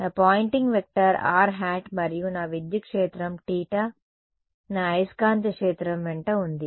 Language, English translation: Telugu, So, my Poynting vector is along r hat and my electric field is along theta hat my magnetic field is along